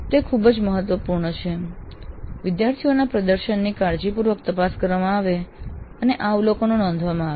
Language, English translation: Gujarati, So it is very important that the performance of the students is carefully examined and these observations are recorded